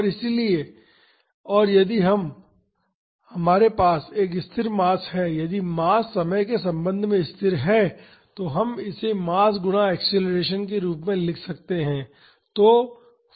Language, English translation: Hindi, So, and if we have a constant mass, if the mass is constant with respect to time we can write this as mass times acceleration